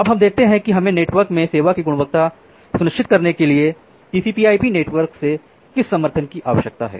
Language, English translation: Hindi, Now, we look into that what support do we require from the TCP/IP network to ensure the quality of service in the network